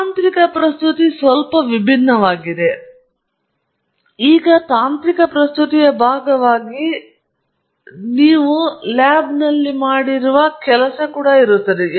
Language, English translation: Kannada, Technical presentation is quite a bit different, even though it’s pretty much the same work that you have done in the lab, which you are now presenting as part of a technical presentation